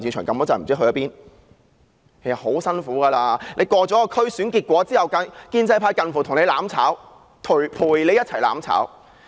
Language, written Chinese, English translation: Cantonese, 其實他們很辛苦，區議會選舉過後，建制派近乎和她"攬炒"，陪她一同"攬炒"。, It has been indeed torturous for them . After the District Council DC Election the pro - establishment camp has almost burned together with her